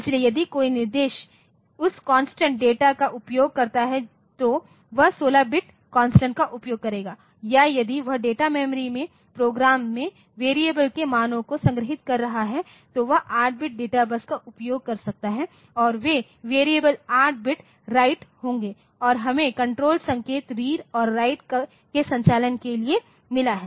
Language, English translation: Hindi, So, if an instruction uses that constant data so, it will use the 16 bit constant or it can if you if it is storing the values of variables in program in the data memory, then it can use the 8 bit data bus and those variables are going to be 8 bit write and we have got the control signal read and write for the read write operation